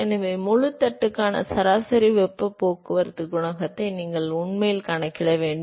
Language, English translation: Tamil, So, you would really require to calculate the average heat transport coefficient for the full plate